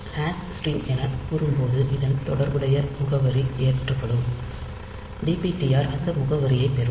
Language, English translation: Tamil, So, when you say hash string, the corresponding address gets loaded in corresponding address will be coming here and dptr will get that address